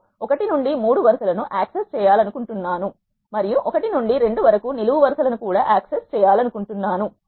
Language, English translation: Telugu, I want to access rows 1 to 3 and also access columns 1 to 2 do